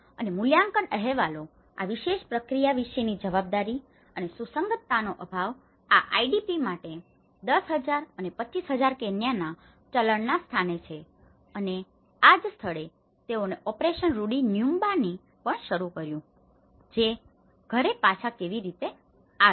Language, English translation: Gujarati, And evaluation reports talk about this particular process lacks accountability and consistency in a location of 10,000 and 25,000 Kenyan currency for these IDPs and this is where, they also started an operation called operation Rudi nyumbani, which is the how to return to home